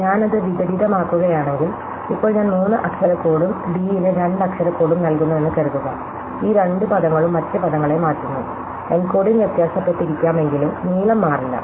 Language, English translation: Malayalam, So, if I invert that, so supposing I now assign a three letter code to d and a two letter code to c, then these two terms change the other terms, though the encoding may have differ, the length do not change